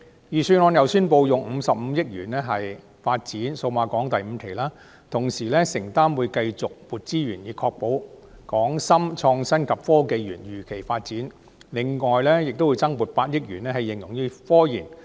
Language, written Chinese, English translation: Cantonese, 預算案亦宣布用55億元發展數碼港第五期，並承諾會繼續增撥資源以確保港深創新及科技園如期發展，另會增撥8億元用於科研。, The Budget also announces that 5.5 billion will be earmarked for the development of Cyberport 5 additional resources will be allocated to ensure the timely development of the Hong Kong - Shenzhen Innovation and Technology Park and an additional sum of 800 million will be provided for research and development